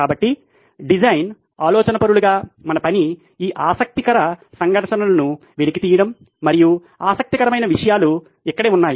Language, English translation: Telugu, So our job as design thinkers is to unearth these conflicts of interest and that’s where the interesting stuff is